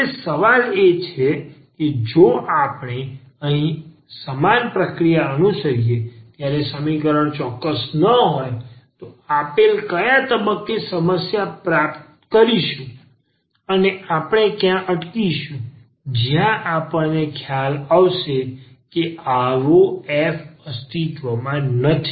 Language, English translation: Gujarati, Now, the question is if we follow the same process here when the equation is not exact then at what point we will get the problem or where we will stuck, and where we will realize that such f does not exists